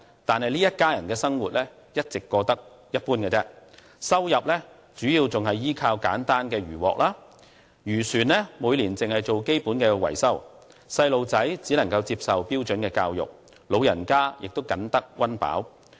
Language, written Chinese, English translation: Cantonese, 但是，這一家人的生活卻一直過得一般，收入仍主要依靠簡單的漁穫，漁船每年只做基本維修，小孩子只能接受標準教育，老人家亦僅得溫飽。, The fishery catch is their main source of income . They spend a minimal amount every year on maintaining their fishing vessel . The family can only afford to let their children receive standard education and the elderly members are meagrely provided for